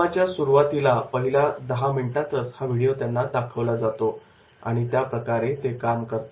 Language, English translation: Marathi, So in the 10 minutes in the beginning itself the video will be shown and they have to perform